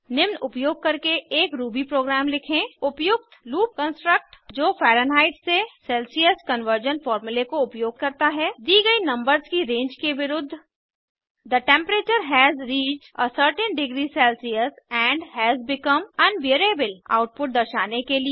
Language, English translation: Hindi, Write a Ruby program using the appropriate loop construct that uses the Fahrenheit to Celsius conversion formula against the given range of numbers To display the output: The temperature has reached a certain degree Celcius and has become unbearable when the temperature in Celcius is above 32 degree Celcius Watch the video available at the following link